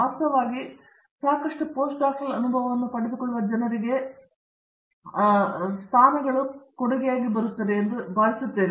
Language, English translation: Kannada, In fact, I think positions are offer to people, who acquire enough postdoctoral experience